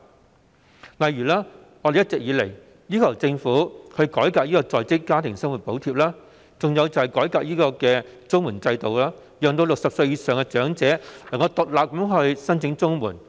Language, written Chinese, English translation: Cantonese, 舉例而言，我們一直要求政府改革在職家庭生活補貼和綜援制度，取消"衰仔紙"，讓60歲以上的長者能夠獨立申請綜援。, For instance we have been asking the Government to reform the Working Family Allowance and CSSA schemes by abolishing the bad son statement so that elders aged above 60 can apply for CSSA separately